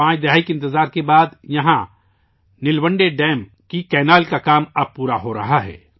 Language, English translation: Urdu, After waiting for five decades, the canal work of Nilwande Dam is now being completed here